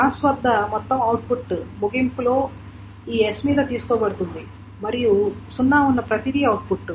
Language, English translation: Telugu, At the end of the whole output, a pass is taken over this S and everything that is zero is output